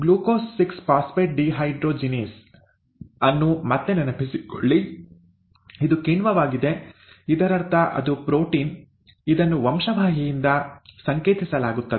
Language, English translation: Kannada, Again recall that ‘Glucose 6 Phosphate Dehydrogenase’; It is an enzyme, which means it is a protein, it is coded by a gene, right